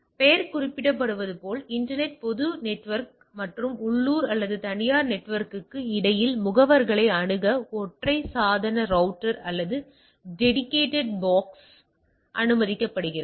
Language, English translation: Tamil, The as the name suggest allows a single device router or dedicated box to access agent between the internet, public network and the local or the private network